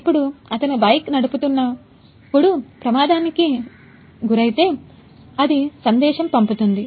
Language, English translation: Telugu, Now he is riding the bike when he will meet the accident, it will send the message